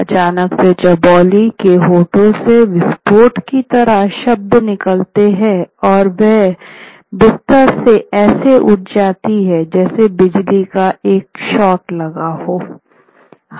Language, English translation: Hindi, Suddenly the syllables exploded from Chobilly's lips as if from a cannon and she stood up from the bed like a shot struck like lightning